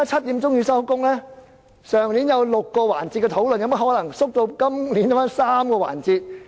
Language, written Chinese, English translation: Cantonese, 去年有6個辯論環節，今年有甚麼可能縮減至3個環節？, Last year there were six debate sessions . It is ridiculous that it is reduced to three sessions only this year